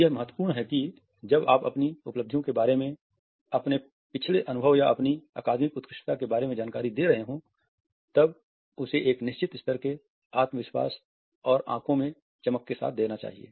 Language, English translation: Hindi, It is important that when you are giving information about your achievements, about your past experience or your academic excellence then it has to be given with a certain level of confidence and sparkle in the eyes